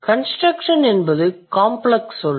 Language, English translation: Tamil, Construction is a complex word